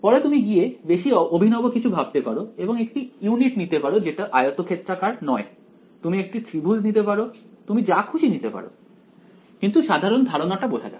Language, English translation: Bengali, Later on you can go become fancy and choose non rectangular units you can make triangles you can make whatever you want, but the basic idea let us try to understand